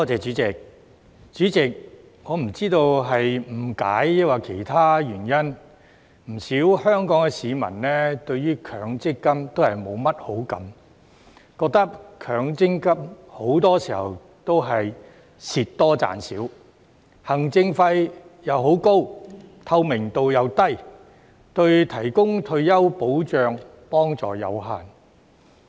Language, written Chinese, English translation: Cantonese, 主席，我不知道是誤解抑或其他原因，不少香港市民對於強制性公積金都是沒甚麼好感，覺得強積金很多時候都是蝕多賺少、行政費又很高、透明度又低，對提供退休保障的幫助有限。, President I do not know whether it is because of misunderstanding or other reasons that many Hong Kong people do not have a good impression of the Mandatory Provident Fund MPF . They feel that MPF records losses rather than gains for most of the time charges a very high administration fee and has low transparency and is therefore of limited help in providing retirement protection